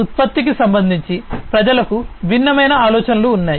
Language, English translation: Telugu, People have different ideas regarding a product